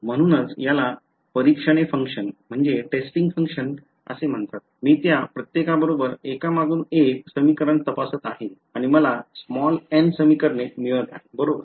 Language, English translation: Marathi, So, that is why these are called testing functions, I am testing the equation with each one of them one after the other and I am getting n equations right